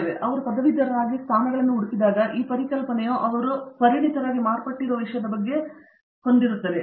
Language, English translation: Kannada, And so when they graduate and look for positions there is always this thing that this concept that have to find something that is relevant to what they have become a specialist in